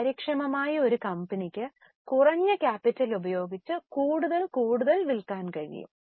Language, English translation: Malayalam, A company which is efficient will be able to sell more and more using lesser capital